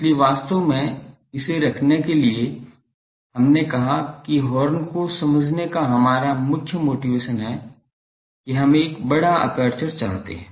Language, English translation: Hindi, So, actually in order to have, we said that our main motivation for coming to horn is we want a large aperture